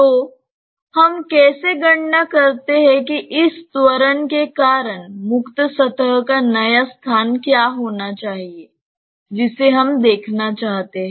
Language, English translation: Hindi, So, how we calculate that what should be the location new location of the free surface because of this acceleration that is what we want to see